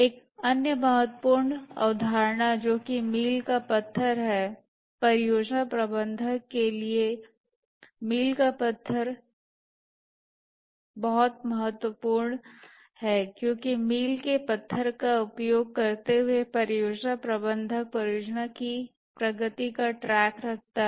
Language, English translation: Hindi, A milestone is very important for the project manager because using the milestones the project manager keeps track of the progress of the project